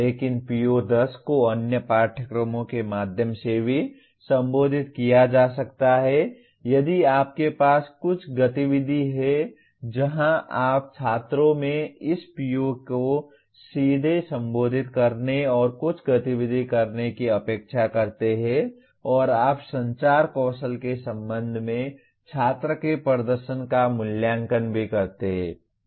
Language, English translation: Hindi, But PO10 can also be addressed through other courses if you have some activity where you expect students to directly address this PO and do some activity and you also evaluate the student performance with respect to the communication skills